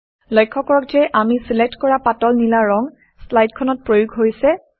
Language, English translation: Assamese, Notice, that the light blue color we selected is applied to the slide